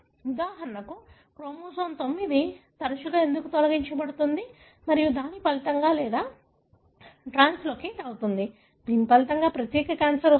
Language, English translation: Telugu, So, why for example chromosome 9 often gets deleted and resulting or translocated, resulting in particular cancer